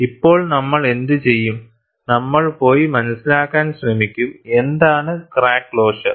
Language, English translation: Malayalam, Now, what we will do is, we will try to go and understand, what is crack closure